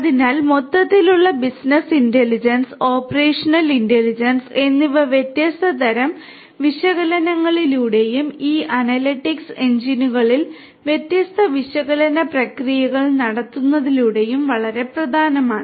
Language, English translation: Malayalam, So, overall business intelligence and operational intelligence can be derived through different types of analytics and running different analytical processes in these analytics engines is very important